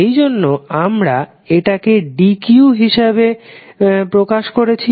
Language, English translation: Bengali, That is why we are representing as dq